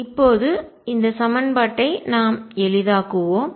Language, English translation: Tamil, Let us now simplify this equation